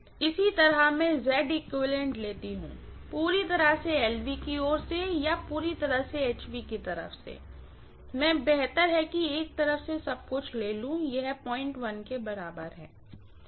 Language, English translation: Hindi, Similarly I take Z equivalent also from completely from the LV side or completely from the HV side, I better take everything from one side, this is equal to 0